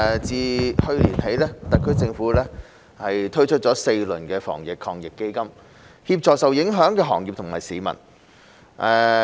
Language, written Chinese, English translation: Cantonese, 自去年起，特區政府推出了4輪防疫抗疫基金，協助受影響的行業及市民。, Since last year the SAR Government has launched four rounds of the Anti - epidemic Fund AEF to assist affected industries and people